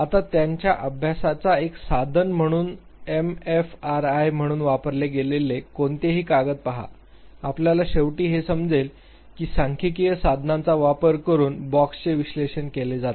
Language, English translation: Marathi, Now, look at any paper which as used fMRI as a tool in their study you would finally realize that the boxes are analyzed using the statistical tools